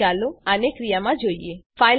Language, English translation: Gujarati, Let us now see it in action